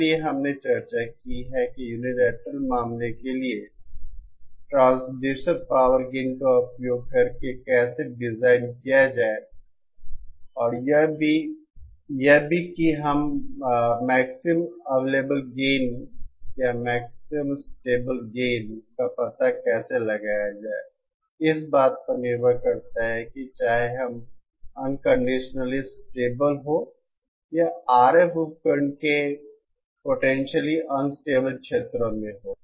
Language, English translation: Hindi, So we have discussed how to design using the transducer power gain for the unilateral case and also how to find out the maximum available gain or the maximum stable gain for the bilateral case depending on whether we are in the unconditionally stable or in the potentially unstable regions of the RF device